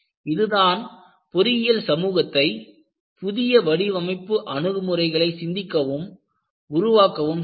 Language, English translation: Tamil, So, this is what made that engineering community to think and evolve new design approaches